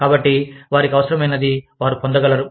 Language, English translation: Telugu, So, that they can get, what they need